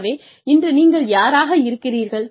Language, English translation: Tamil, Who you are, today